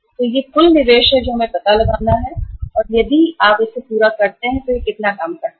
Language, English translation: Hindi, So this is the total investment we have to find out and if you total it up this works out as how much